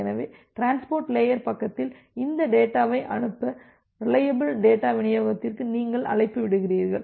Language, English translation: Tamil, So, at the transport layer side, you are making a call to reliable data delivery to send with this data